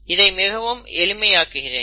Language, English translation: Tamil, I am really simplifying this